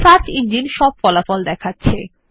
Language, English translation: Bengali, The search engine brings up all the results